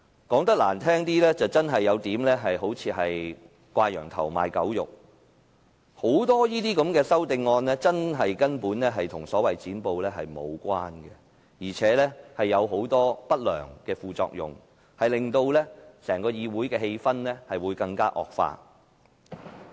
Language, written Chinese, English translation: Cantonese, 說得難聽點，這些修正案似乎真的有點"掛羊頭賣狗肉"，當中很多根本與所謂"剪布"無關，而且會產生很多不良的副作用，令整個議會的氣氛惡化。, In unpleasant terms these amendments seem to be a bit crying wine but selling vinegar . Many of them are absolutely not related to the so - called cutting off of filibusters and will produce many adverse side effects that exacerbate the atmosphere of the entire Council